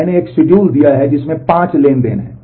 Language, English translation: Hindi, I have given a schedule which has 5 transactions